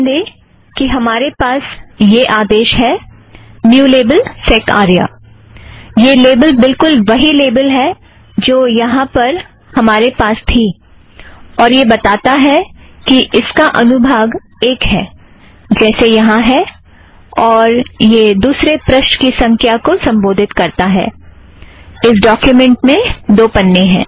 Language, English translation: Hindi, And note that, we have this command, new label sec arya, this label is the same label that we had here and this one says that it is section 1, as it appears here, and this 2 refers to the page number – this documents page is 2